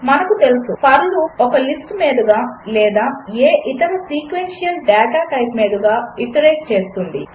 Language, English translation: Telugu, As we know, the for loop iterates over a list or any other sequential data type